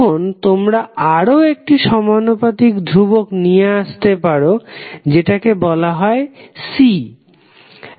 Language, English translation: Bengali, Now, you can introduce another proportionality constant that is called C ok